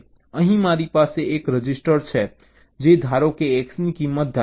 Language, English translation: Gujarati, let say here i have a register which is suppose to hold the value of, let say, x